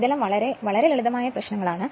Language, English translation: Malayalam, So, this is very simple thing